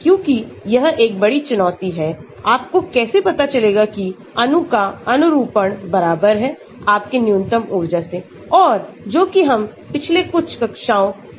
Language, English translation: Hindi, Because, that is a big challenge, how do you know that the molecule conformation is equivalent to your minimum energy and that is what we have been looking at in the past few classes